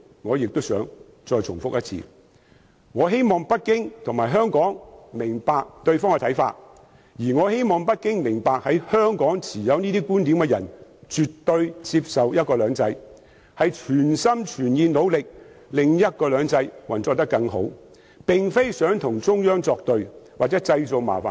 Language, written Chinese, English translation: Cantonese, 我想重複他的總結：我希望北京政府和香港人明白對方的看法，並希望北京政府明白，持有這種觀點的香港人絕對接受"一國兩制"，是全心全意、努力令"一國兩制"運作得更好，並非想與中央作對或為中央製造麻煩。, Let me repeat his conclusion I hope that the Beijing Government and Hong Kong people will understand the views of each other . I also hope that the Beijing Government will understand that Hong Kong people with such views definitely accept one country two systems and they are fully committed to and making efforts to improving the implementation of one country two systems; and they do not want to do anything against the Central Authorities or create troubles for the Central Authorities